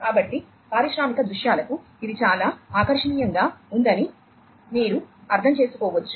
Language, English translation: Telugu, So, as you can understand that this is quite attractive for industrial scenarios